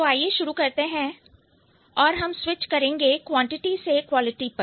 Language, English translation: Hindi, We are switching from quality, sorry, from quantity to quality